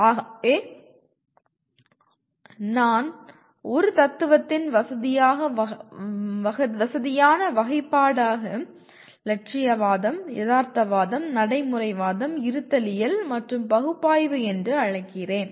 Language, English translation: Tamil, So I call it one convenient classification of philosophy is idealism, realism, pragmatism, existentialism, and analysis